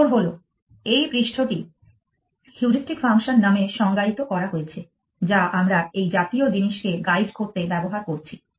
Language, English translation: Bengali, The answer is that this surface is defined by the heuristic function that we are using to guide such thing